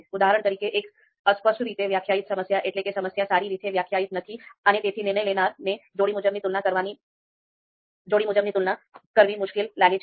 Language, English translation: Gujarati, For example, vaguely defined problem, the problem is not well defined and therefore decision maker find it difficult to you know make their pairwise comparisons